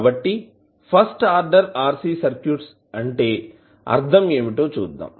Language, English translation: Telugu, So, let us see what do you mean by first order RC circuits